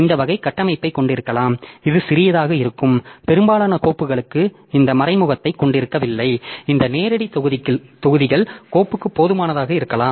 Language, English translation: Tamil, So, we can have this type of structure so this for most of the files which are small in size so we don't have this indirect so the directs or this direct blocks may be sufficient for the file